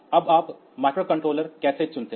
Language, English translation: Hindi, So, next we look into Microcontrollers